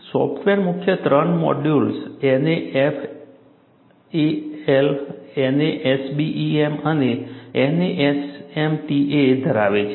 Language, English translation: Gujarati, The software contains three main modules; NASFLA, NASBEM and NASMAT